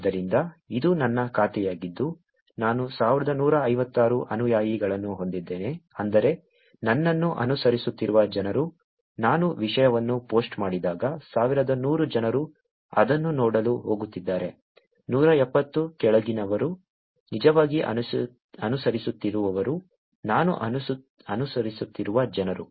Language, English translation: Kannada, So, this is my account I have 1156 followers which is people who are following me, when I post a content 1100 people are going to see it, 176, the following, are the people who are actually following, whom I am following